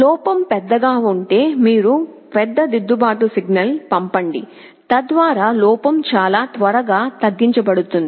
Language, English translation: Telugu, If the error is large you send a larger corrective signal so that that the error can be reduced very quickly